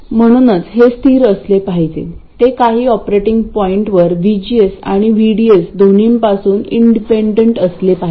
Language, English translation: Marathi, So this must be constant it should be independent of both VGS and VDS at some operating point